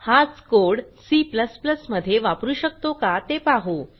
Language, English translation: Marathi, Let see if i can use the same code in C++, too